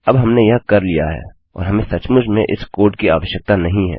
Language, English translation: Hindi, Now weve done that and we really dont need this code